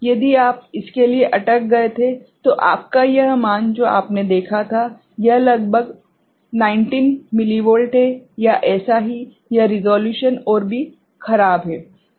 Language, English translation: Hindi, If you had stuck to this one, then your this value you had seen, it is around 19 millivolt or so, the resolution would have been worse, fine